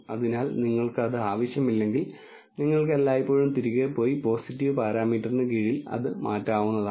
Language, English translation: Malayalam, So, if you do not want that you can always go back and change it under the parameter positive